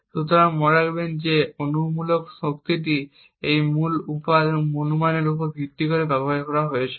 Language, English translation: Bengali, So, note that this hypothetical power consumed was based on a key guess